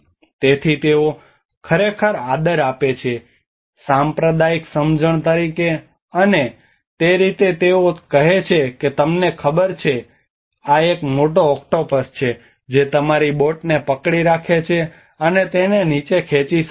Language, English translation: Gujarati, So they really respect that as a communal understanding, and that is how they say that you know there is a large octopus which might hold your boat and pull it down